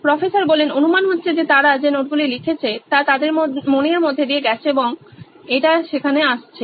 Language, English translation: Bengali, The assumption is that the notes that they have written has gone through their mind and it’s coming is on there